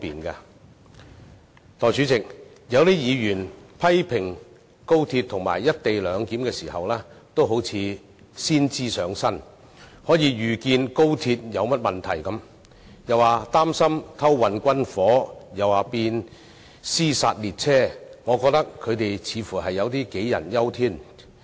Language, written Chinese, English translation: Cantonese, 代理主席，有些議員在批評高鐵及"一地兩檢"時有如先知上身，好像可以預見高鐵會出現甚麼問題般，既擔心有人會偷運軍火，又擔心會變成"屍殺列車"，但我認為他們似乎有點杞人憂天。, Deputy President it seems that some Members while criticizing XRL and the co - location arrangement can look into the crystal ball foretelling the problems with XRL . They are worried about the possibilities of smuggling of firearms and XRL turning into a zombie train . But I think they are probably over worried